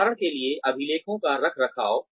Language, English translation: Hindi, For example, maintenance of records